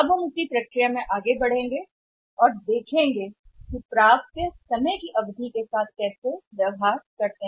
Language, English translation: Hindi, Now we will be moving forward in the same process and let us see here that how the receivables are behaving over the period of time